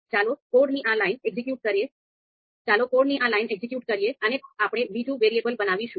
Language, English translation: Gujarati, So let us execute this line of code and we will create another variable